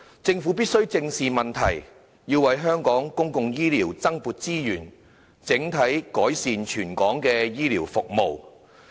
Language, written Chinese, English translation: Cantonese, 政府必須正視問題，為香港公營醫療增撥資源，改善全港的醫療服務。, The Government must face up to the problem and allocate additional resources to Hong Kong public healthcare so as to improve healthcare services territory - wide